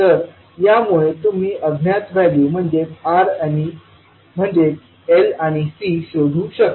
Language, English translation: Marathi, So with this you can find out the value of unknowns that is L and C